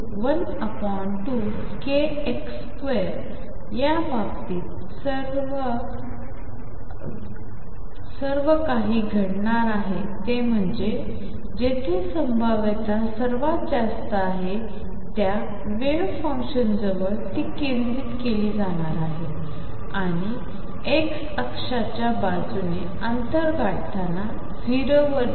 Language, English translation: Marathi, In all these case what is going to happen is that the wave function is going to be concentrated near the origin of where the potential is deepest and go to 0 as you reach distance very far along the x axis